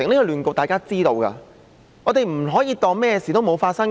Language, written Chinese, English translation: Cantonese, 這是大家都知道的，我們不可以當甚麼事都沒有發生。, This is obvious to all and we cannot pretend that nothing has ever happened